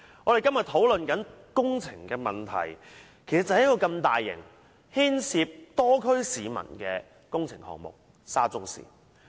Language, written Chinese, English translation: Cantonese, 我們今天討論的工程問題，就是出現在一個如此大型、牽涉多區市民的工程項目：沙中線。, What we are discussing today is a construction problem found in such a massive construction project affecting people in many districts the SCL project